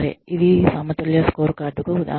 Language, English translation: Telugu, This is the example of a balanced scorecard